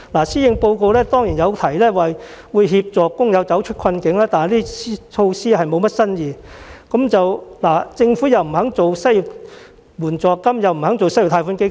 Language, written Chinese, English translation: Cantonese, 施政報告當然有提及協助工友走出困境，但措施欠缺新意，政府既拒絕推出失業援助金，又拒絕推出失業貸款基金。, The Policy Address has certainly mentioned helping workers find a way out of the predicament but the measures lack novelty . The Government has refused to introduce unemployment benefits or set up an unemployment loan fund